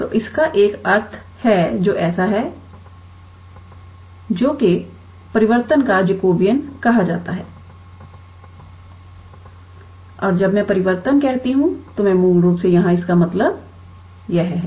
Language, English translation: Hindi, So, this has a meaning which is so, J is called the Jacobian of the transformation and when I say transformation, I basically mean this here